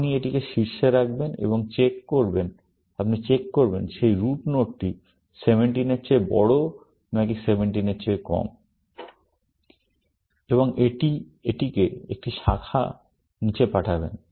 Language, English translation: Bengali, You will put it at the top, and you will check, whether that root node is greater than 17 or less than 17, and it will send it down one branch